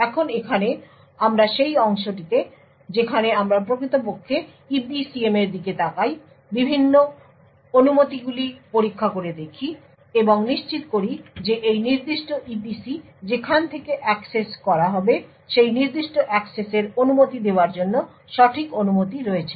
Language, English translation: Bengali, Now over here we is the part where we actually look into the EPCM check the various permissions and so on and ensure that this particular EPC where is going to be accessed has indeed the right permissions to permit that particular access